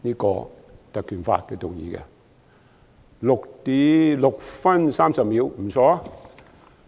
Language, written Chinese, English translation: Cantonese, 我的發言用了6分30秒，不錯。, I have spoken for six and a half minutes . Good